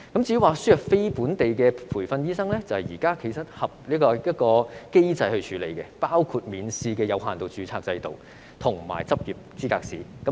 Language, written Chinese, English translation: Cantonese, 至於輸入非本地培訓的醫生，其實現在已有機制處理，包括免試的有限度註冊制度及執業資格試。, As for the importation of non - locally trained doctors there are existing mechanisms to deal with it including a limited registration system and the Licensing Examination